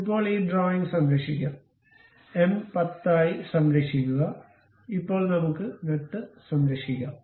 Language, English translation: Malayalam, Now, let us save this drawing, save as M 10, now let us have nut and save